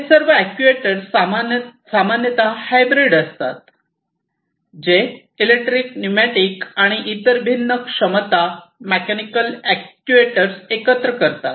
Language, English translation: Marathi, So, here so, all these actuators as you can see are typically the hybrid ones, which will combine the electric pneumatic and different other capabilities mechanical actuators and so on